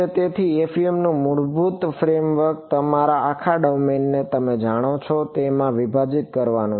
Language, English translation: Gujarati, So, the basic frame work of FEM is break up your whole domain into such you know